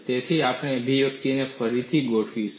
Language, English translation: Gujarati, So, we would recast the expressions